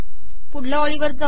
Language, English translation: Marathi, Go to the next line